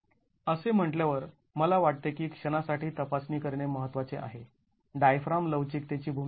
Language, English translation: Marathi, Having said that, I think it is important to examine for a moment the role of diaphragm flexibility